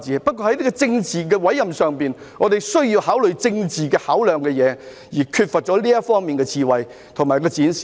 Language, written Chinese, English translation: Cantonese, 不過，在政治委任上，我們需要考慮政治應考量的事，但當局缺乏這方面的智慧和展示。, When it comes to political appointments however we need to consider matters from the political perspective but the authorities have displayed no wisdom in this regard